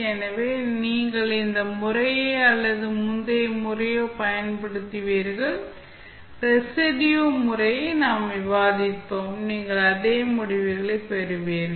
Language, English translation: Tamil, So, either you use this method or the previous method, which we discussed that is the residue method, you will get the same results